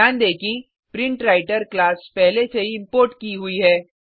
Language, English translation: Hindi, Notice that the PrintWriter class is already imported